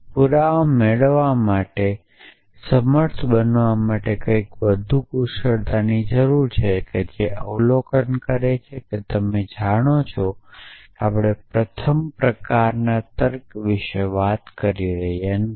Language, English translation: Gujarati, We need something more efficient to be able to derive the proofs essentially observe that you know of course, we are not talking about first sort of logic yes